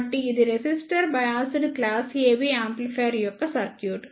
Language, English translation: Telugu, So, this is the circuit of resistor biased class AB amplifier